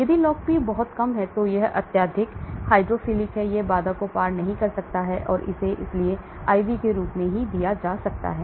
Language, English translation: Hindi, If the log P is very low it is highly hydrophilic, it might not cross the barrier so it may be given in the form of IV